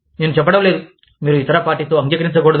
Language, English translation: Telugu, I am not saying, that you should not agree, with the other party